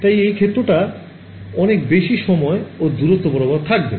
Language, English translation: Bengali, So, this field will go on for a very long time and distance right